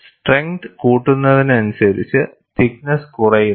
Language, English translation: Malayalam, As the strength increases, thickness also decreases